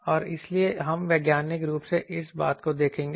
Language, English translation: Hindi, And so, we will see this thing scientifically